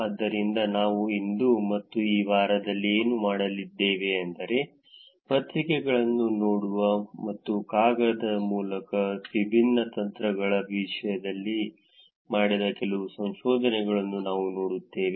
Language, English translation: Kannada, So, what we will do today and in this week is that we will look at some of the research which was done in terms of just looking at the papers itself and going through the paper in terms of different techniques that are applied